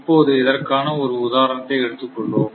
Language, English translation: Tamil, Now, we will take a take an example